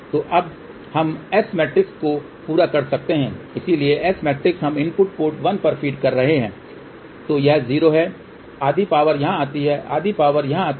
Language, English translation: Hindi, So, now we can complete the S matrix, so S matrix when we have feeding at input port 1 so that is 0, half power goes here half power goes here